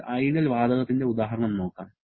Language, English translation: Malayalam, Let us take the example of an ideal gas